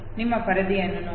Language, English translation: Kannada, Look at your screen